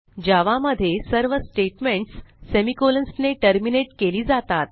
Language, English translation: Marathi, In Java, all statements are terminated with semicolons